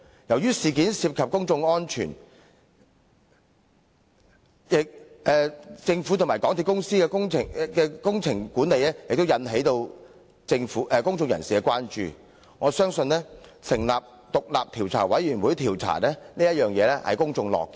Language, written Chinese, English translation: Cantonese, 由於事件涉及公眾安全，政府和港鐵公司的工程管理亦引起了公眾關注，我相信成立調查委員會調查切合公眾的期望。, As this incident involves public safety and the Government and MTRCLs management of the works has also aroused public concern I believe the establishment of the Commission of Inquiry can meet public expectations